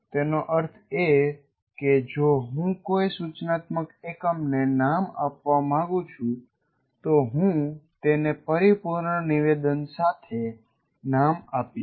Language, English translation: Gujarati, That means if I want to label an instructional unit, I will label it with the competency statement